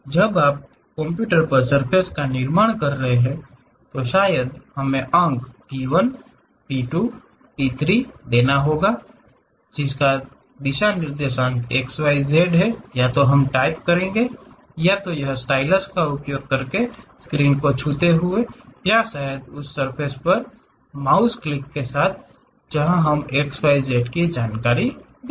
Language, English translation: Hindi, When you are constructing surface on computer, perhaps we may have to give points P 1, P 2, P 3; x, y, z coordinates either we type it using stylus touch the screen or perhaps with mouse click on that surface, where we will give x, y, z information